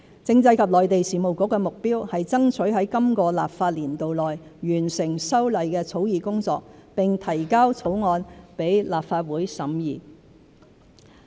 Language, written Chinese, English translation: Cantonese, 政制及內地事務局的目標是爭取在今個立法年度內完成修例的草擬工作並提交草案予立法會審議。, CMAB aims to complete the drafting of the legislative amendments and introduce the bill to the Legislative Council for scrutiny within this legislative year